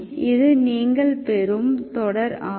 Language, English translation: Tamil, This is the series you will get